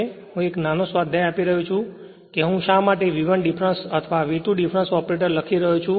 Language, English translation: Gujarati, This is I am giving you a small exercise that why I am writing V 1 difference or V 2 the difference operator